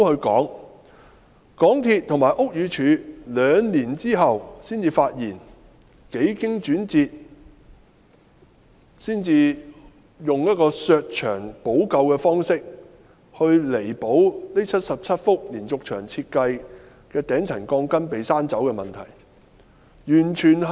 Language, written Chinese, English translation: Cantonese, 港鐵公司及屋宇署在兩年後才發現，幾經轉折，才採用削牆補救的方式來彌補這77幅連續牆設計的頂層鋼筋被削走的問題。, MTRCL and BD only discovered the case after two years and resorted to the removal of a layer of wall structure as a remedy to the removal of steel reinforcement bars from the top layer of the 77 diaphragm walls after some twists and turns